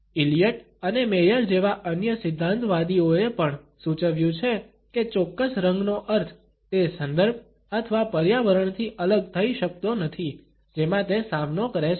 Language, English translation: Gujarati, Other theorists like Elliot and Maier have also suggested that the meaning of a particular color cannot be dissociated from the context or the environment in which it is encountered